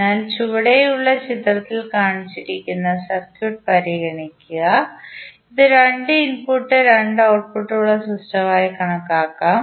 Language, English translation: Malayalam, So, consider the circuit which is shown in the figure below, which may be regarded as a two input and two output system